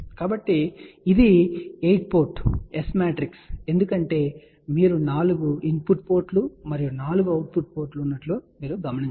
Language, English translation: Telugu, So, this is the S matrix for 8 port because you can see that there are 4 input ports and 4 output port